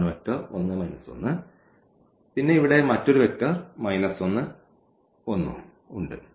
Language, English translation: Malayalam, So, this is the vector 1 minus 1 and then the other vector here we have minus 1 and n 1